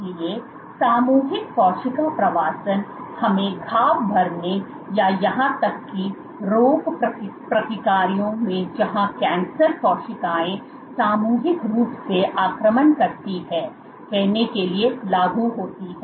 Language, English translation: Hindi, So, collective cell migration is applicable to let us say wound healing or even in pathological processes where cancer cells invade collectively